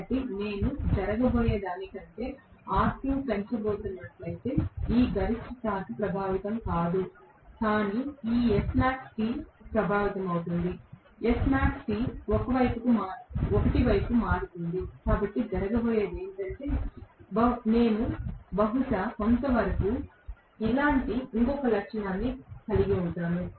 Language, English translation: Telugu, So, if I am going to have R2 increased than what is going to happen is this maximum torque will not get affected, but this S max T will get affected, S max T will shift towards 1